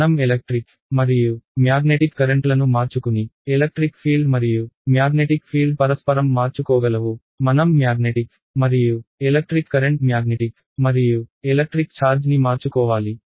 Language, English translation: Telugu, Electric field and magnetic field are interchangeable if I interchange electric and magnetic, I have to interchange magnetic and electric currents magnetic and electric charge right